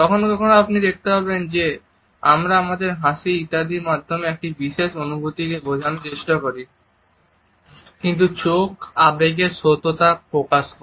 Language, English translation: Bengali, Sometimes you would find that we try to pass on a particular emotion through our smiles etcetera, but eyes communicate the truth of the emotions